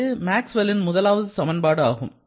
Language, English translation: Tamil, So, this is a third Maxwell's equation